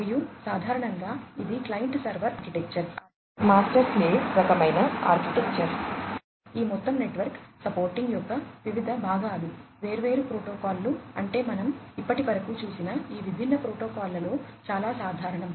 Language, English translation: Telugu, And, typically it is a client server architecture, master slave kind of architecture, different parts of this overall network supporting, different protocols is what is common across most of these different protocols that we have gone through so, far